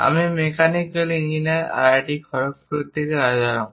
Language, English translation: Bengali, I am Rajaram from Mechanical Engineering IIT Kharagpur